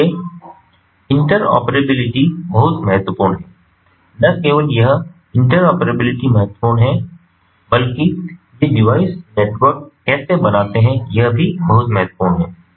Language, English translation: Hindi, not only that interoperability is important, but how these devices form the network is very crucial as well